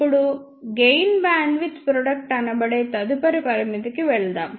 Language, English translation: Telugu, Now, let us move onto the next limitation which is gain bandwidth product limitation